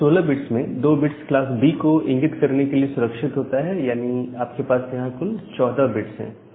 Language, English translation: Hindi, So, out of this 16 bit, two bits are reserved for denoting it as a class B, so you can have a total of 14 bit